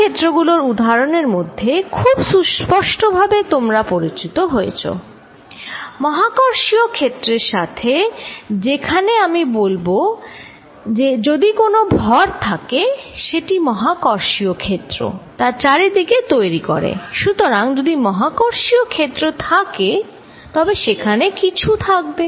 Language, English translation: Bengali, Other examples of fields, a very obvious example that you are familiar with is gravitational field, in which I can say that, if there is a mass, it creates a gravitational field around it